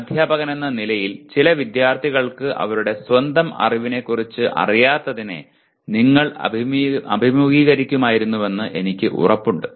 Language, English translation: Malayalam, And I am sure as a teacher you would have faced some students not being aware of their own level of knowledge